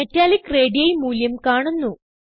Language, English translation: Malayalam, Metallic radii value is shown here